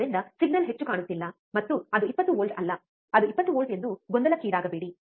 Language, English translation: Kannada, So, do not get confuse that the signal is not looking higher and it is not 20 volt it is 20 volts